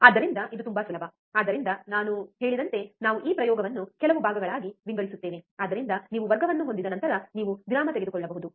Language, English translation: Kannada, So, this is very easy so, like I said, we will break this experiment into few parts so, that you can take a break in between after you have the class